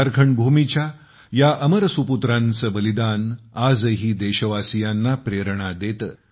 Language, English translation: Marathi, The supreme sacrifice of these immortal sons of the land of Jharkhand inspires the countrymen even today